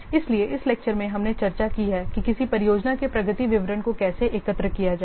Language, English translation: Hindi, So, in this lecture we have discussed how to collect the progress details of a project